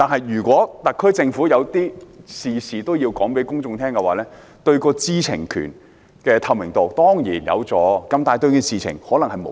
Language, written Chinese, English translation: Cantonese, 如果特區政府事事都要向公眾交代，當然有助提高知情權和透明度，但對事情卻可能無益。, If the SAR Government has to explain everything to the public it will certainly help in enhancing the right to know and transparency but it may not do any good to the case